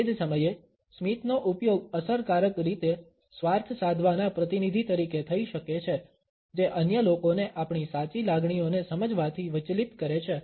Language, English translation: Gujarati, At the same time, a smiles can also be used in an effective way as manipulating agents, distracting the other people from understanding our true feelings